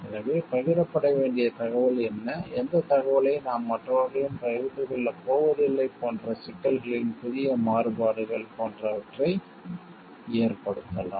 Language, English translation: Tamil, So, this may lead to like new variations of difficulties will be involved, like what is the information which needs to be shared what is that information we are not going to share with others